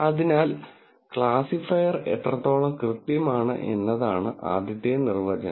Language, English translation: Malayalam, So, the first definition is how accurate the classifier is